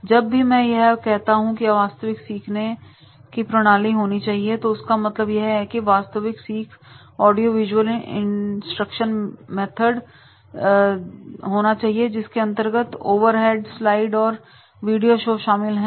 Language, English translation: Hindi, Now whenever I say that is the actual learning is to be there, then in that case the actual learning will be the audio visual instruction that includes the overheads, the slides and videos